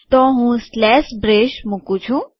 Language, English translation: Gujarati, So I put a slash brace